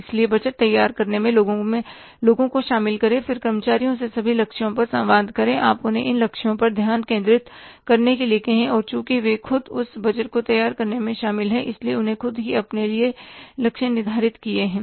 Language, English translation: Hindi, So, involve the people in preparation of budget, communicate then all the targets to employees, you ask them to focus upon these targets and since they are involved into preparing that budget themselves, they themselves have set the targets for themselves, it means the achievement of the budgetary objectives will not be a problem